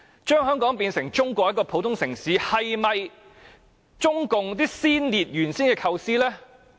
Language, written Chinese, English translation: Cantonese, 將香港變成中國的普通城市，是否中共先烈原有的構思呢？, Was it the original intention of the Chinese communist predecessors to turn Hong Kong into an ordinary city in China?